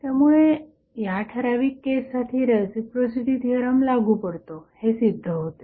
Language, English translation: Marathi, So, this justifies that the reciprocity theorem is applicable in this particular case